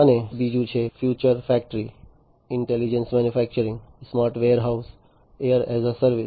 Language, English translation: Gujarati, And second is factory of future, intelligent manufacturing, smart warehousing, air as a service